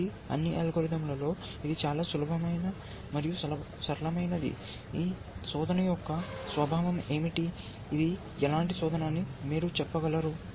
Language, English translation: Telugu, ) So, this is the simplest of all algorithms essentially, what is the nature of this search can you tell you what kind of search is this doing